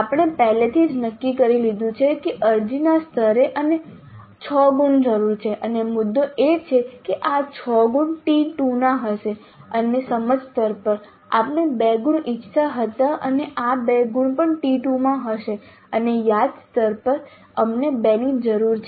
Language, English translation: Gujarati, We already have decided that at apply level we need 6 marks and the decision is that these 6 marks would belong to T2 and at understandable we wanted 2 marks and these 2 marks also will be in T2 and at remember level we 2 we need 2 marks and these will be covered in FIS 2